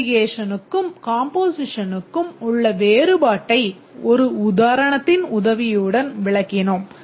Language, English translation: Tamil, Just to explain the difference between aggregation and composition, you just explain with the help of one example